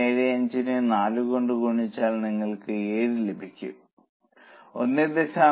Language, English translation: Malayalam, 75 into 4 you get 7 and 1